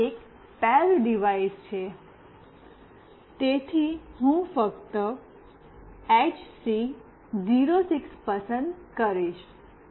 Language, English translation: Gujarati, This one is the pair device, so I will just select HC 06